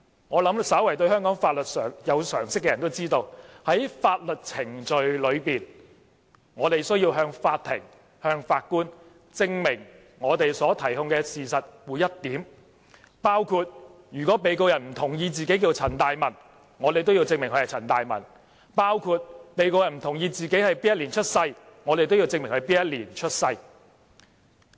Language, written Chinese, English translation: Cantonese, 我想，稍為對香港法律有常識的人都知道，在法律程序中，我們需要向法庭、法官證明所提控事實的每一點，包括如果被告人不同意自己名字叫陳大文，我們都要證明他名叫陳大文；如果被告人不同意自己的出生年份，我們都要證明他是在哪一年出生。, I believe anyone with common sense about the law in Hong Kong would know that during legal proceedings we have to prove every point of the facts related to the case in Court . If the defendant disagrees that his name is CHAN Tai - man we will need to prove that his name is CHAN Tai - man; and if the defendant disagrees on his year of birth we will then have to prove that he was born in a particular year